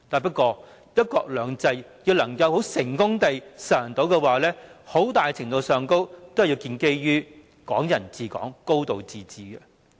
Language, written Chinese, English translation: Cantonese, 不過，若要成功實行"一國兩制"，很大程度要建基於"港人治港"、"高度自治"。, But the successful implementation of one country two systems must to a very large extent depend on Hong Kong people ruling Hong Kong and a high degree of autonomy